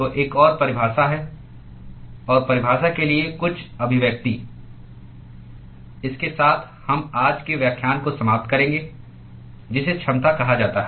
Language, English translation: Hindi, So, there is another definition; and some expression for the definition with that we will finish today’s lecture what is called the efficiency